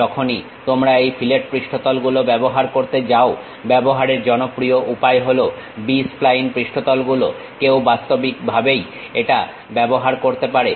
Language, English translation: Bengali, Whenever, you are going to use these fillet surfaces, the popular way of using is B spline surfaces one can really use it